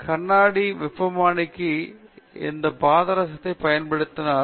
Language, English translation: Tamil, Have you used this mercury in glass thermometer